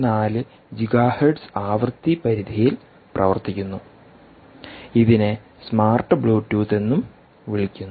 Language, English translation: Malayalam, frequency of two point four gigahertz works in the range of two point four gigahertz and is also called smart bluetooth